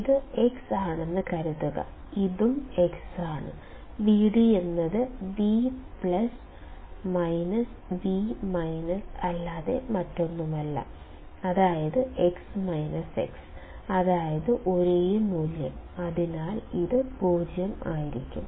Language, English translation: Malayalam, Suppose this is X; this is also X and V d is nothing but V plus minus V minus, which is, X minus X, that is, the same value, so this will be 0